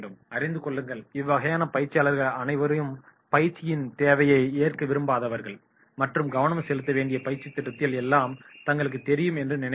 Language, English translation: Tamil, Know all, these are the participants who are not inclined to accept the need for training and they feel that they know almost everything that the training program indents to focus on